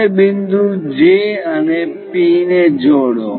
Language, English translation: Gujarati, Now, join point J and P